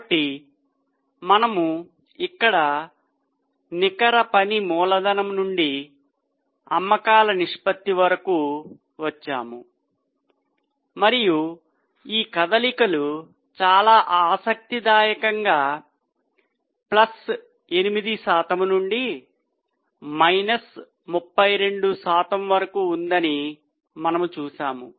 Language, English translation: Telugu, So, we had come up to this net working capital to sales ratio and we had seen that the movement is really very interesting from plus 8% to minus 32%